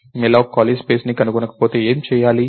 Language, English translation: Telugu, What if malloc does not find any free space